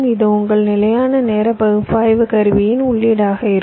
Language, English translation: Tamil, so this will be the input of your static timing analysis tool